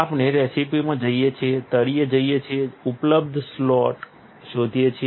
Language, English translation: Gujarati, We go to recipes, go to the bottom, find available slot